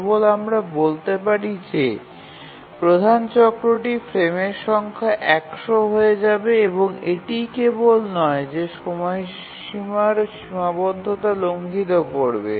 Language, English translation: Bengali, So, only let's say the major cycle is 100, number of frames becomes 5, and not only that the deadline constraint will also be violated